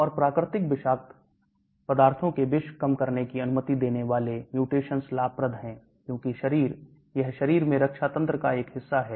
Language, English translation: Hindi, And mutations allowing detoxification of natural toxic materials are advantageous, because the body, this is a part of the defense mechanism in the body